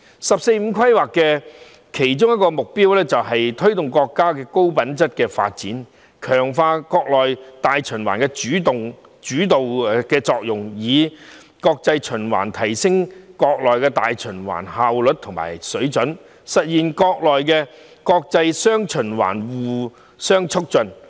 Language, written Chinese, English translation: Cantonese, "十四五"規劃的其中一個目標，是推動國家的高品質發展，強化國內大循環的主導作用，以國際循環提升國內大循環效率和水準，實現國內國際"雙循環"互相促進。, The 14th Five - Year Plan seeks to promote the high quality development of the country strengthen the leading role of domestic circulation improve the efficiency and level of domestic circulation through international circulation and realize mutual reinforcement between domestic and international circulation